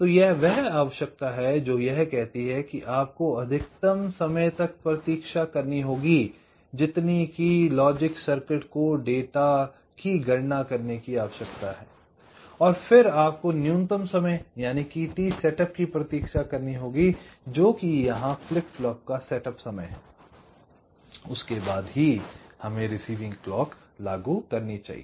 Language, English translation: Hindi, it says that you must wait for the maximum time the logic circuit requires to compute the data, then you must wait for a minimum amount of time, t setup, which is the setup time of the flip flops